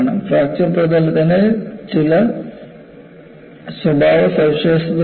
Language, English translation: Malayalam, And there are certain characteristic features of the fracture surface